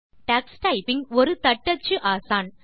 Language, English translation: Tamil, Tux Typing is a typing tutor